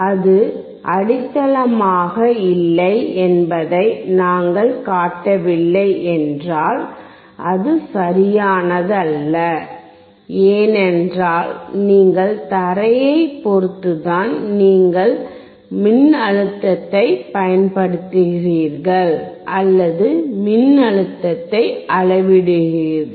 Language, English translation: Tamil, If we do not show that it is not grounded, it is not correct, because when you are taking voltage you are applying voltage and you are measuring voltage is always with respect to ground